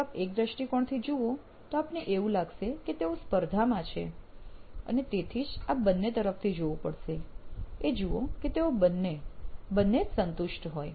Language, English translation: Gujarati, If you look at it from one point of view, they are actually competing and hence you would have to look at it from both sides and see to that, that both of them, both of these guys are satisfied